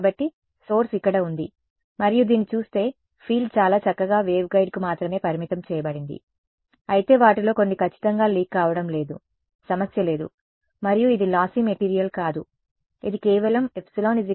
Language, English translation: Telugu, So, the source was over here and looking at this can you say that there is definitely a wave guiding happening clearly right the field is very nicely confined to the waveguide, but not strictly some of it is leaking out no problem right it is not and this is not a lossy material, it is just epsilon equal to 12 there is no imaginary part